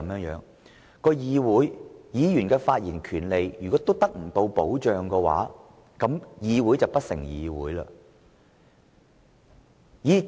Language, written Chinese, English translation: Cantonese, 如果議員在議會內發言的權利亦不受保障，那麼議會便不成議會了。, If Members are even ripped of any protection of their right to speak in the legislature then the Legislative Council will fail to live up to its name as a legislature